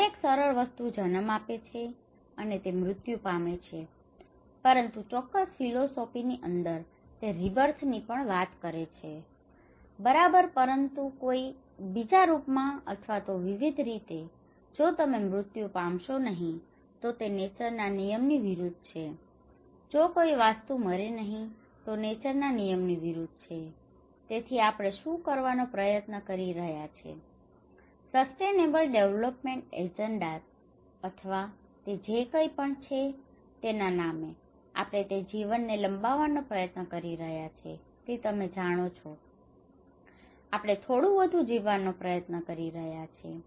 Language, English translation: Gujarati, Every simple thing will give a birth, and it will die, but in certain philosophies, it also talks about the rebirth, okay but in a different form or in a different way so, if you do not die, it is against the law of nature, if the thing is not dying it is against the law of nature, so what we are trying to do is in the name of a sustainable development agendas or whatever it is, we are trying to prolong that life you know, we are trying to live little longer